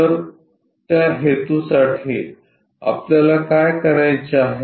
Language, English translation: Marathi, So, for that purpose What we have to do is